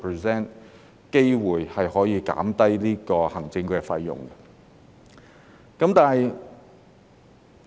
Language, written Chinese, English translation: Cantonese, 事實上，這樣可以即時令管理費減低。, In fact this can immediately reduce the management fees